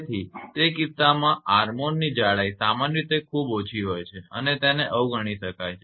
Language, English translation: Gujarati, So, in that case the armour thickness is generally very small and can be neglected